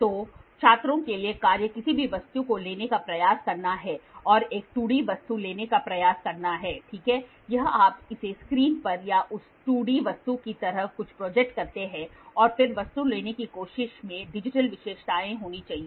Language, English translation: Hindi, So, task for students is try to take try to take any object which has and try to take a 2D object, ok, or you project it on a screen or something like that 2D object and then try to take the object must have complex features